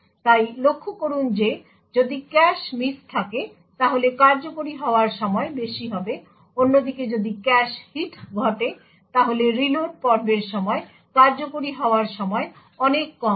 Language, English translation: Bengali, So, note that if there is a cache miss, then the execution time will be high, on the other hand if a cache hit occurs then the execution time during the reload phase would be much lower